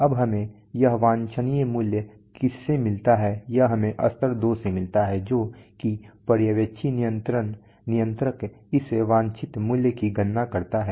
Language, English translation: Hindi, Now this desired value what do we get this desired value from, this we get from the level 2 that is the supervisory controller calculates this desired value